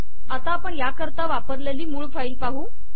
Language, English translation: Marathi, For example, look at the source file